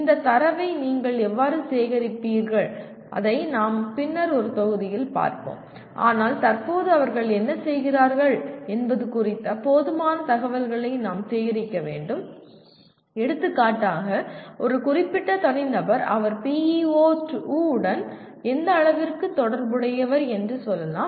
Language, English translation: Tamil, How do you collect this data, that we will see it in a later module but we must gather enough information about what they are doing at present to say whether for example a specific individual, to what extent he is associated with PEO2 let us say